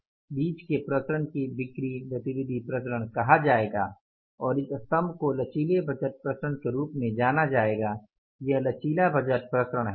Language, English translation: Hindi, In between this and this the variance will be called as the sales activity variance, sales activity variance and this column will be known as the flexible budget variance